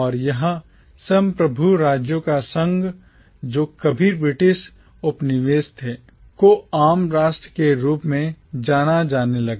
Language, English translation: Hindi, And this confederation of sovereign states which were once British colonies came to be known as the commonwealth